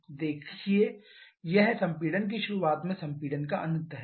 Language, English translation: Hindi, Look it is end of compression on beginning of compression